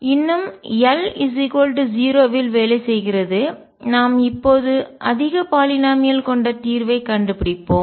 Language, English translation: Tamil, Still working on l equals 0; let us find out the solution which is a higher polynomial